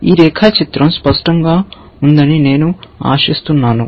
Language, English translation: Telugu, So, I hope this diagram is clear